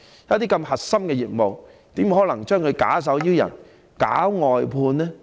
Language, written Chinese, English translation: Cantonese, 如此核心的業務，怎可以假手於人、搞外判呢？, Since this is such a core business how possibly can it be left to the charge of other people and how can it be outsourced?